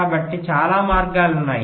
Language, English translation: Telugu, so there are so many ways, right